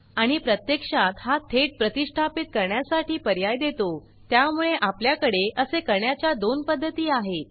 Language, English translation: Marathi, And actually this gives an option to install it directly, so we have two ways of doing it